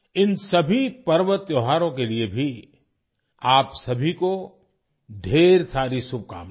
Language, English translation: Hindi, Many best wishes to all of you for all these festivals too